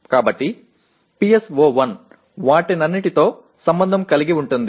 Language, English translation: Telugu, So PSO1 is associated with all of them